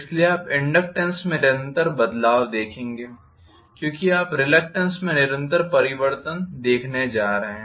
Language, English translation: Hindi, So, you will have a continuous variation in the inductive because you are going to see a continuous variation in the reluctance